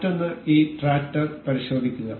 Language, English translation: Malayalam, Another, take a look at this tractor